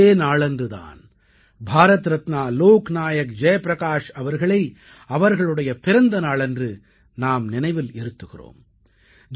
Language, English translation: Tamil, This day, we remember Bharat Ratna Lok Nayak Jayaprakash Narayan ji on his birth anniversary